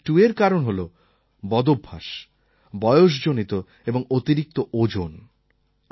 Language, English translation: Bengali, Type 2 is due to your habits, age and obesity